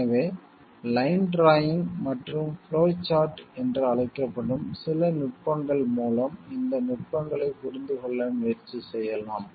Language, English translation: Tamil, So, we can try to understand these techniques through some techniques like which we call line drawing and flowchart